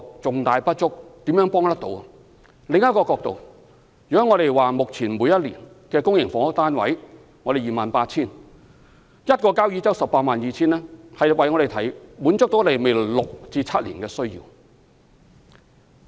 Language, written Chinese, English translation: Cantonese, 從另一個角度來看，我們目前每年供應的公營房屋是 28,000 個單位，交椅洲的 182,000 個單位可以滿足我們未來六七年的需要。, Let me explain from another perspective . At present our annual production of public housing stands at 28 000 units . The production capacity of 182 000 units in Kau Yi Chau is in other words sufficient to meet our future needs for six or seven years